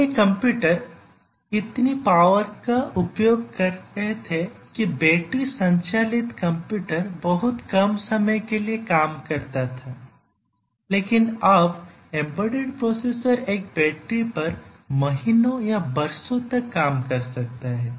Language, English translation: Hindi, Earlier the computers were using so much of power that battery operated computer was far fetched, but now embedded processor may work for months or years on battery